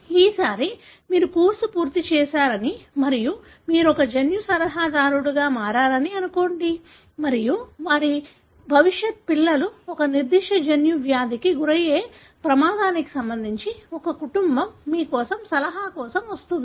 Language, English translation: Telugu, So this time, assume that you finished the course and you have become a genetic counselor and there is a family comes to you for an advice with regard to the risk of their future children having a particular genetic disease